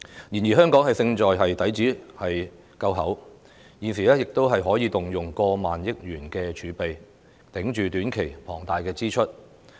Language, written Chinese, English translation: Cantonese, 然而，香港勝在底子夠厚，現時可以動用過萬億元儲備，支撐短期的龐大支出。, However thanks to the strong foundation of Hong Kong the Government can use more than 1,000 billion in reserves to support the short - term huge expenses